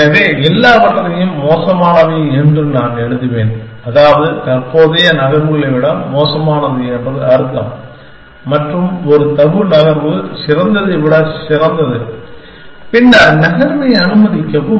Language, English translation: Tamil, So, I will just write all are bad by bad we means worse than current and a tabu move leads to in which is better than best, then allow the move